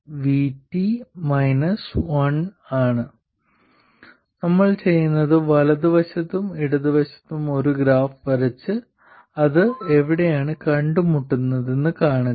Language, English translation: Malayalam, So what we do is we draw a graph for the right side and the left side and see where they meet